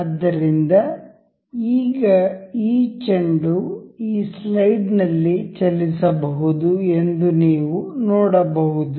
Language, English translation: Kannada, So, now, you can see this ball can move into this slide